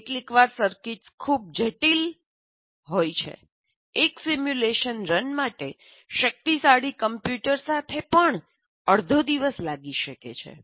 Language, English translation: Gujarati, Sometimes the circuits are so complex, one simulation run may take a half a day, even with the powerful computer